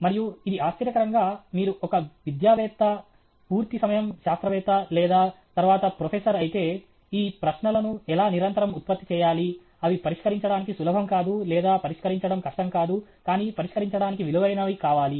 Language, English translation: Telugu, And it surprisingly… and if you are an academic, a full time scientist or a professor later on, how to constantly generate these questions which are neither easy to solve nor difficult to solve, but are worth solving